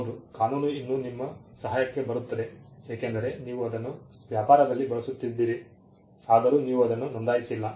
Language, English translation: Kannada, Yes, the law of passing of will still come to your help, because you have been using it in trade, though you have not registered it